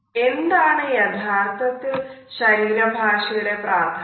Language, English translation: Malayalam, Now, what exactly is the significance of body language